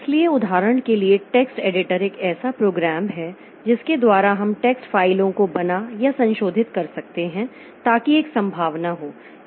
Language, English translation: Hindi, So, for example, text editor is a program by which we can create or modify text files